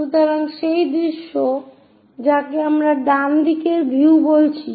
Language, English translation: Bengali, So, that view what we are calling right side view